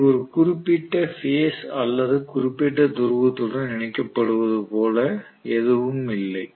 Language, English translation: Tamil, There is nothing like it is going to be affiliated to a particular phase or particular pole